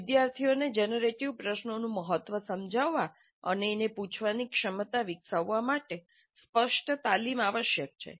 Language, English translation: Gujarati, Explicit training is required to make the students understand the importance and develop the capability to ask the generative questions